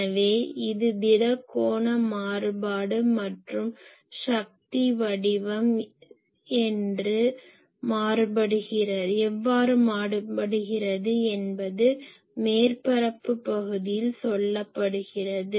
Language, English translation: Tamil, So, this is solid angle variation and this is the on the surface area how the power is varying ok